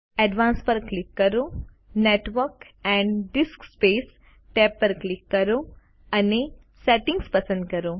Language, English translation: Gujarati, Click on Advanced, select Network and DiskSpace tab and click Settings